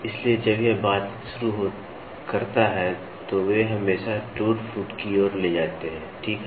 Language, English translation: Hindi, So, when it starts interacting, they always lead to wear and tear, right